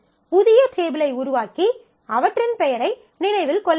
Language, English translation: Tamil, So, you will have to create new table and remember their name